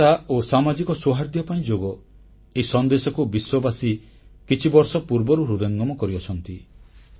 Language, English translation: Odia, Yoga for unity and a harmonious society conveys a message that has permeated the world over